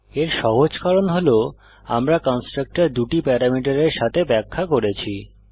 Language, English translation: Bengali, This is simply because we have defined a constructor with two parameters